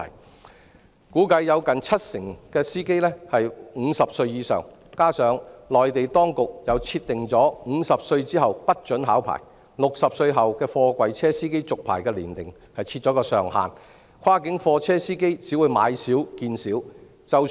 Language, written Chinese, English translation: Cantonese, 據估計，有近七成司機年齡是50歲以上，加上內地當局又設定50歲後不准考牌，以及60歲為貨櫃車司機續牌的年齡上限，跨境貨車司機只會買少見少。, It is estimated that close to 70 % of the drivers are over 50 years of age . Moreover the Mainland authorities require that drivers aged 50 and above are not eligible for licence examination and set the age limit of renewal of container truck driving licenses at 60 years aggravating the shortage of cross - boundary container truck drivers